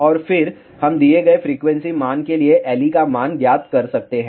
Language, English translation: Hindi, And, then we can find out the value of L e for given frequency value